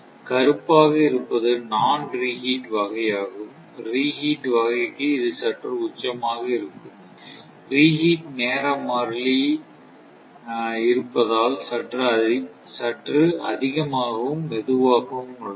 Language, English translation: Tamil, So, black one is non reheat and for reheat type, it is slightly peak; is slightly higher and slower because of the reheat time constant is there